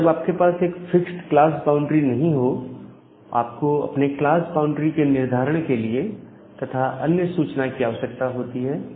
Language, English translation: Hindi, Whenever do you do not have a fixed class boundary, you need to have another information to determine that what is your class boundary